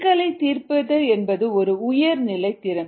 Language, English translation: Tamil, problem solving is a higher level skill